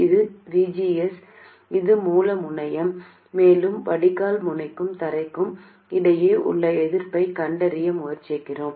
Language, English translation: Tamil, This is VGS, this is the source terminal, and we are trying to find the resistance between the drain node and ground